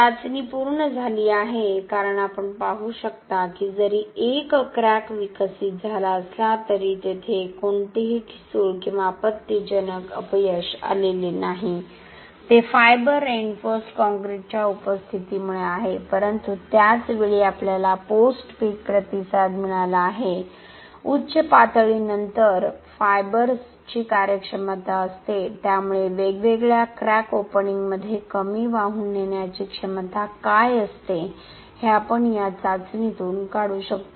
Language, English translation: Marathi, The test is completed as you can see that although there is a crack which is developed, there was no brittle or a catastrophic failure, that is because of the presence of fiber reinforced concrete but at the same time we have got the post peak response, there is the performance of fibers after peak, so what is a low carrying capacity at different crack openings, we can be able to derive from this test